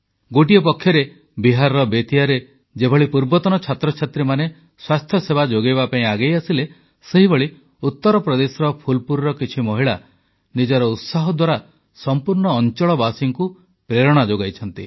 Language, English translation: Odia, On one hand, in Bettiah in Bihar, a group of alumni took up the task of health care delivery, on the other, some women of Phulpur in Uttar Pradesh have inspired the entire region with their tenacity